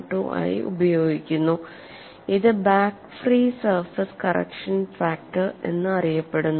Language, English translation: Malayalam, 12 and is known as back free surface correction factor